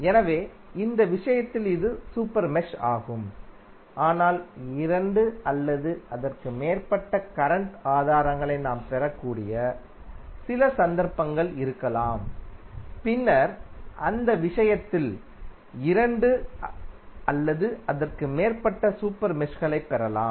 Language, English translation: Tamil, So, in this case this would be the super mesh but there might be few cases where we may get two or more current sources and then in that case we may get two or more super meshes